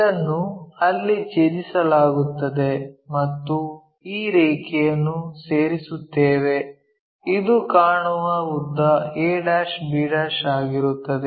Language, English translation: Kannada, So, this one will be intersected there join this line, this will be apparent 1 b'